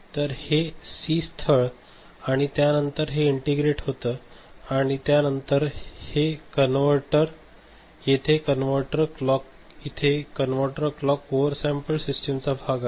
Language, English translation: Marathi, So, this is point C right and then it is integrated and then there is a converter, which is this converter clock which is, this particular system is a over sampled system